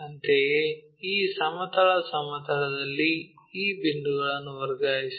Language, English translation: Kannada, Similarly, transfer these points on this horizontal plane thing